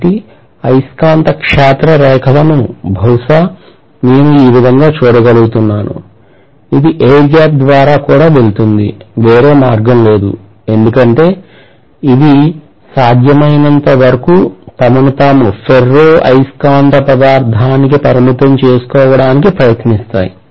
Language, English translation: Telugu, So the magnetic field lines probably I can look at it this way that it is going to go around like this and it will go through the air gap also forcefully, there is no other way because it will try to confine itself as much as possible to the ferromagnetic material